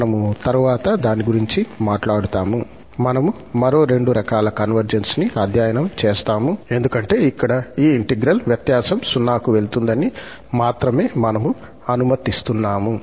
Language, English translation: Telugu, We will be talking about it later, we will study two more types of convergence, because here, we are letting only that this difference under this integral goes to 0